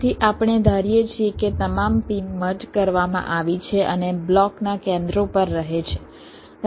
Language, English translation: Gujarati, so we assume that all the pins are merged and residing at the centers of the blocks